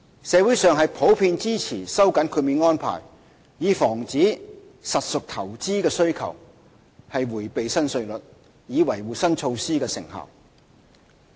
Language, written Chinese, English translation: Cantonese, 社會普遍支持收緊豁免安排，以防止實屬投資的需求迴避新稅率，從而維護新措施的成效。, The community generally supports the tightening of the exemption arrangement to prevent evasion of the new rates by investors with property demands thereby safeguarding the effectiveness of the new measure